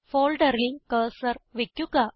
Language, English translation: Malayalam, Place the cursor on the folder